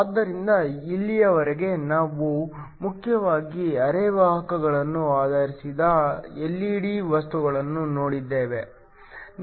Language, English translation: Kannada, So, far we have looked at LED materials that are mainly based upon semiconductors